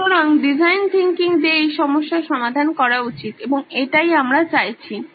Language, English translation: Bengali, So the design thinking solution should address this and this is what we are seeking